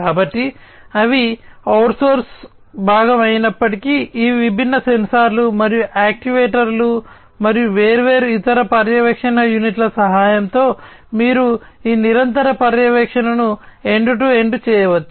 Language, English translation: Telugu, So, even if they are outsource component, but you know with the help of these different sensors and actuators, and different other monitoring units, you could be end to end this continuous monitoring could be performed